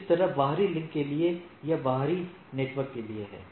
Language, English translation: Hindi, Similarly, for external link it is a for the external network